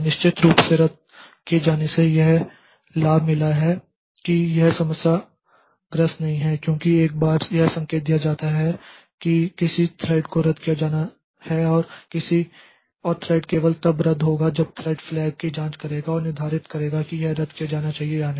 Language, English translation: Hindi, Deferred cancellation of course has got the advantage that it does not suffer from the problem because once it is indicated that a thread be terminated or to be canceled, the cancellation occurs only after the thread has checked a flag and determine whether or not it should be canceled